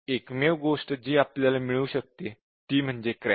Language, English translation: Marathi, So, only thing that we can detect is a crash